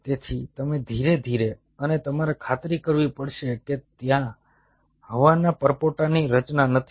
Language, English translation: Gujarati, so you slowly, and you have to ensure that there is no air bubble formation